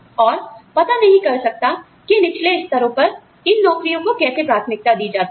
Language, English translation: Hindi, And, may not know, how these jobs are prioritized, at the lower levels